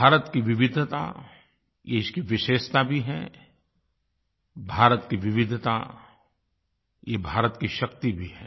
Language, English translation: Hindi, India's diversity is its unique characteristic, and India's diversity is also its strength